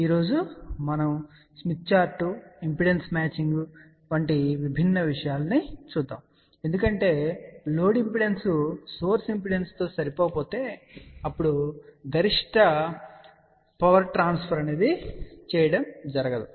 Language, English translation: Telugu, So, today we will look into different things like smith chart, impedance matching because if the load is not match with the source impedance, then maximum power transfer does not happen